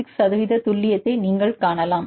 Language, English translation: Tamil, So, you can see the accuracy of 85 percent